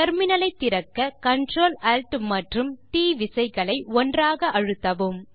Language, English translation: Tamil, To open a Terminal press the CTRL and ALT and T keys together